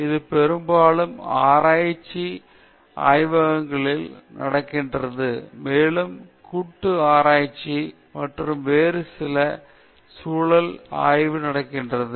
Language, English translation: Tamil, This often happens in research laboratories, and also collaborative research, and also in certain other context research takes place